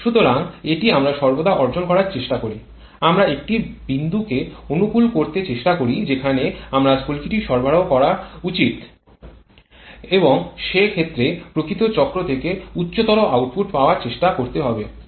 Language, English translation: Bengali, So, this is what we always try to achieve we try to optimize a point where you should provide the spark and accordingly try to get higher output from the actual cycle